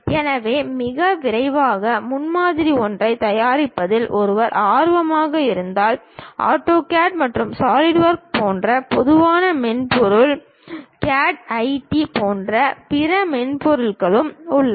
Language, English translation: Tamil, So, if one is interested in preparing very quick prototype, the typical softwares like AutoCAD and SolidWorks; there are other softwares also like CATIA